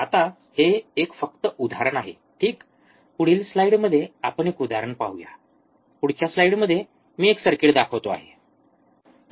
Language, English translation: Marathi, Now this is just just an example ok, we will see example in the next slide, circuit in the next slide just I am showing